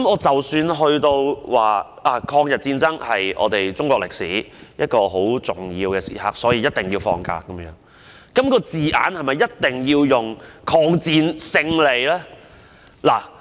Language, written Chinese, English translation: Cantonese, 即使有人認為，抗日戰爭是中國歷史一個十分重要的時刻，所以一定要放假，但這個假期的名稱是否一定要包含抗戰勝利的字眼？, Even if someone thinks that the Victory Day is a very important event in the history of China and a holiday must be designated on that day must the name of the holiday carry such words as victory over Japanese aggression?